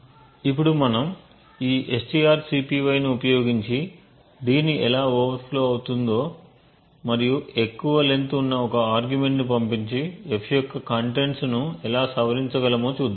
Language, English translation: Telugu, Now we will see how we can actually overflow d using this strcpy and passing an argument which is longer and how we could actually modify the contents of f